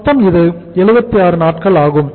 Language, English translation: Tamil, Total is 76 days